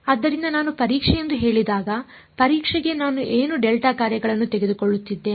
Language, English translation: Kannada, So, when I say testing, what do I am taking delta functions for the testing